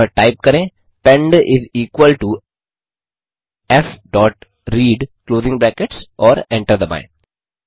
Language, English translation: Hindi, So type pend is equal to f dot read closing brackets and hit Enter